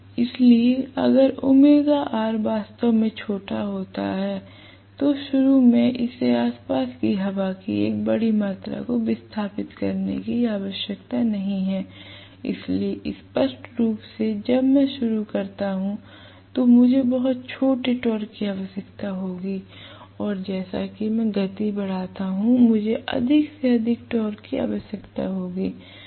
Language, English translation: Hindi, So, if omega r is really really small initially it does not have to displace a large amount of air surrounding it, so obviously when I start I will require very small torque and as I go up the speed, I will require more and more torque